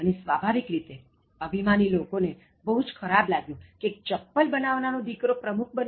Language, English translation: Gujarati, And, naturally, egoistic people were very much offended that a shoemaker’s son should become the president